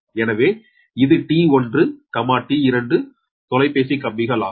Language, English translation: Tamil, so this is t, one, t, two telephone lines right